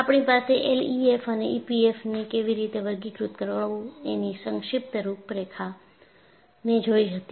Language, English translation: Gujarati, Then, we had a brief outline of how to classify L E F M and E P F M